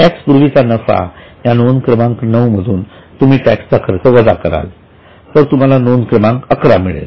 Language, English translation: Marathi, So, from 9 you will, this is profit before tax, you will deduct the tax expense, then you will get 11